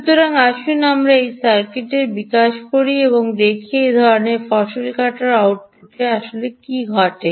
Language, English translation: Bengali, so lets develop that circuit also and see what actually happens at the output of the, this kind of a harvester